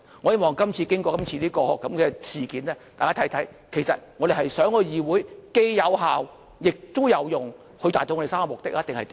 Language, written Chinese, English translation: Cantonese, 我希望經過今次事件，大家看看，其實我們是想議會既有效，也有用，以達到我們3個目的，還是怎樣？, After this incident I hope that we should look into ways to make the legislature efficient and effective or our three objectives or something else